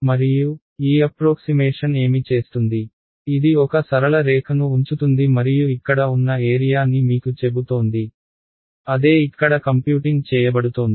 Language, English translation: Telugu, And, what this approximation is doing, it is putting a straight line like this and telling you the area over here right that is what is computing over here